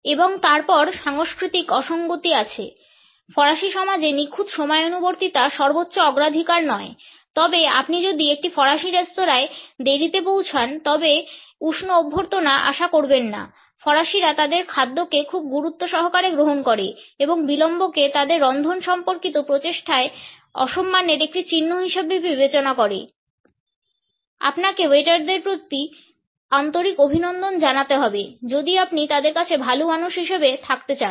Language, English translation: Bengali, And then there are cultural anomalies; in French society absolute punctuality is not the highest priority, but if you arrive late at a French restaurant do not expect a warm welcome the French take their food very seriously and consider lateness a sign of disrespect for their culinary efforts you had a better pay some serious compliments to the waiters if you want to get back in there good books